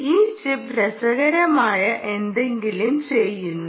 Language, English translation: Malayalam, ah, this chip, ah also does something interesting, right